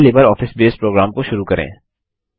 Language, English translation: Hindi, Let us first invoke the LibreOffice Base program